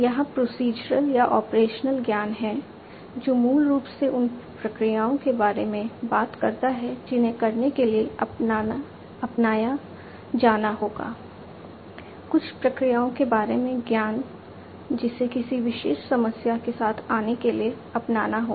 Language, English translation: Hindi, There is procedural or, operational knowledge, which basically talks about the procedures that will have to be adopted in order to; the knowledge about certain procedures, that will have to be adopted in order to come up with a, you know, a or solve a particular problem